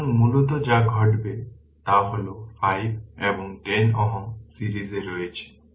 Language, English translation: Bengali, So, basically what happen this 5 and 10 ohm are in series